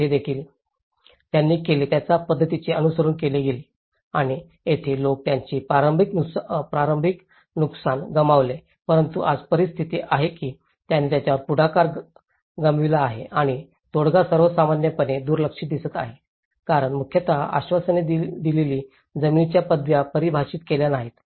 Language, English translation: Marathi, So, here, also what they did was the similar patterns have been followed and here, the people have lost their initial but today the situation is they lost their initiative and the settlement look generally neglected because mainly the promising land titles have not been defined